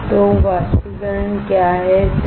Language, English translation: Hindi, So, what is evaporation right